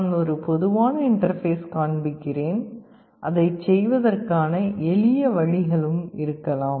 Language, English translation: Tamil, I am showing a typical interface there can be simpler ways of doing it also